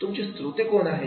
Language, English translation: Marathi, Who is your audience